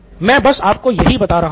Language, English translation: Hindi, That’s what I’m telling you